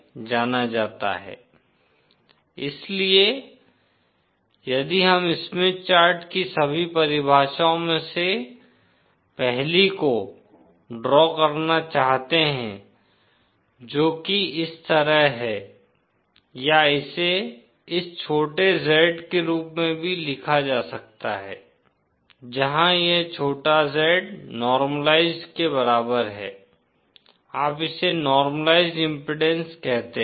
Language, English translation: Hindi, So if we want to draw 1st of all the definition of Smith chart is like this or this can also be written as this small Z where this small Z is equal to the normalised what you call as normalised impedance